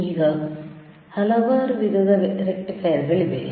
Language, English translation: Kannada, Now, there are several types of rectifiers again